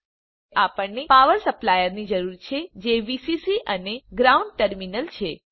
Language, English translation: Gujarati, Now we need a power supply i.e.Vcc and Ground terminals